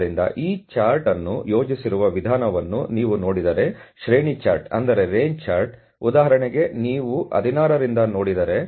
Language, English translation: Kannada, So, if you look at the way that you know this chart has been plotted the range chart; for example, if you look at let say starting from 16